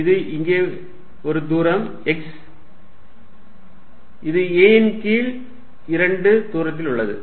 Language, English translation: Tamil, This is here a distance x, this is at a distance a by 2